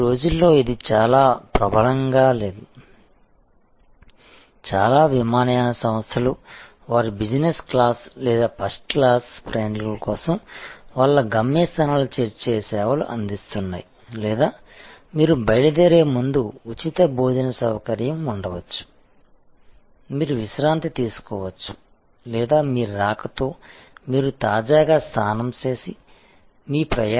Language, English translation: Telugu, These days that is not very much prevalent, but drop of service when you arrive are provided by many airlines for their business class or first class travelers or there could be free launch facility before your departure, you can relax or on your arrival you can fresh enough and take a shower and so on, and go straight to your appointment